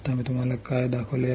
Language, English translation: Marathi, Now what I have shown you